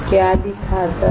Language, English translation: Hindi, What does it show